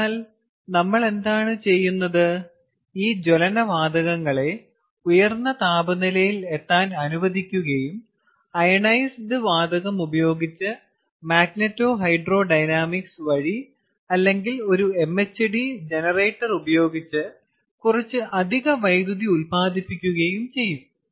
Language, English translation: Malayalam, so therefore, what we will do is we will let this combustion gases reach that high temperature and use that ionized gas to generate some additional electricity by using magneto hydro dynamics, by using magnet or hydrodynamics or using an mhd generator